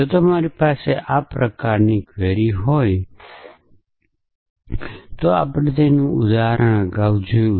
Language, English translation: Gujarati, So, in case you have a query of this kind we saw an example of that earlier